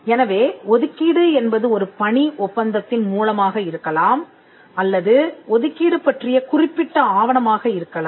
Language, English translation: Tamil, So, an assignment can be by way of an employment contract or they can be a specific document of assignment